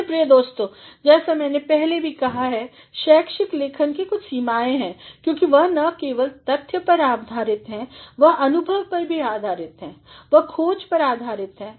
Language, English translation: Hindi, My dear friends, as I have already said that academic writing has got certain limitations because they are based not only on facts, they are also based on experiences, they are based on findings